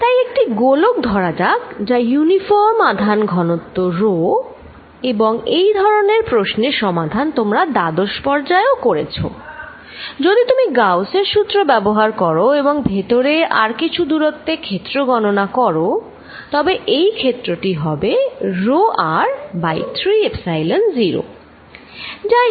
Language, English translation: Bengali, So, let us take a sphere with uniform charge density rho r and this problem you have solved in your 12th grade, if you apply Gauss’s law and calculate the field inside at a distance r this field comes out to be rho r by 3 Epsilon naught